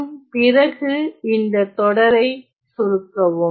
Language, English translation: Tamil, And then simplify that series